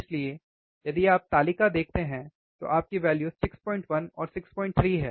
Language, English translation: Hindi, So, if you see the table, your values are 6